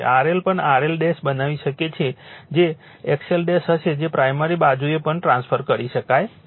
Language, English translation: Gujarati, R L also you can make R L dash X L will be X L dash that also can be transferred to the primary side, right